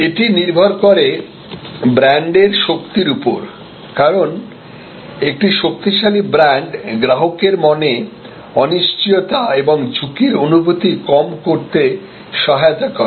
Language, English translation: Bengali, Based on it is brand strength, because the brand, a strong brand helps to reduce the uncertainty and the sense of risk in the customer's mind